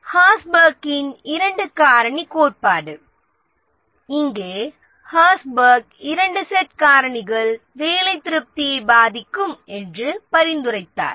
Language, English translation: Tamil, The Herzberg's two factor theory, here Herzberg suggested that two sets of factor affected job satisfaction